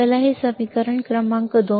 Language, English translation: Marathi, Let’s say this equation number 2